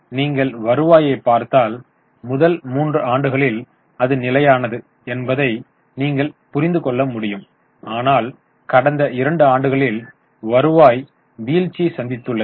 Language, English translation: Tamil, Now, if you look at the revenue, you will realize that first three years it was constant, but in last two years there is a fall